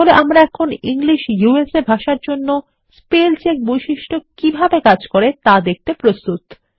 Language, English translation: Bengali, So we are now ready to see how the spellcheck feature works for the language, English USA